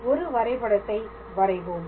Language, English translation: Tamil, So, let me draw a figure